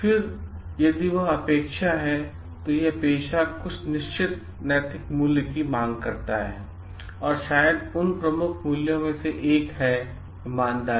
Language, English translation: Hindi, Then, what we find like if that is the expectation, then there are certain ethical values which this profession demands and maybe one of those prominent values is of course honesty